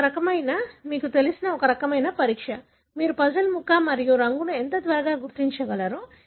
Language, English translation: Telugu, This is a kind of a, you know, a kind of a test, how quickly you can identify a puzzle piece and colour